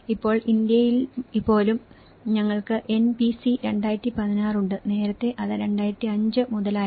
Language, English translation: Malayalam, Now, even in India, we have the NBC 2016, earlier it was from 2005